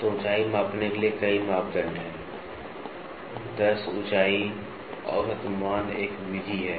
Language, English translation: Hindi, So, there are several parameters to measure height, 10 height average value is one method